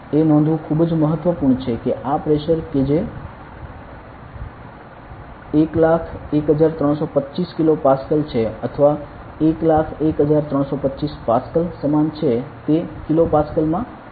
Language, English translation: Gujarati, It is very important to note that this pressure that is 101 325 kilo Pascal or is equal to 101 325 Pascal is the same just in the kilo Pascal